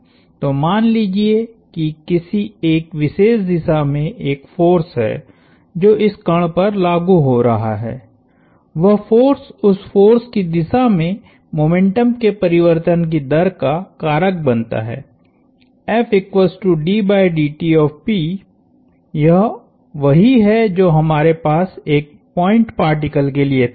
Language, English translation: Hindi, So, let’s say there is a force in a particular direction acting on this particle, that force causes a rate of change of momentum in the direction of that force, this is what we had for a point particle